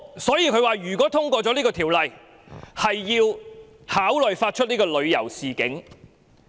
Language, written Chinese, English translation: Cantonese, 所以，台方表示，如通過《條例草案》，便考慮發出旅遊警示。, Thus Taiwan has indicated that if the Bill is passed it may consider issuing a travel warning